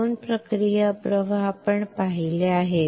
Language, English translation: Marathi, Two process flows we have seen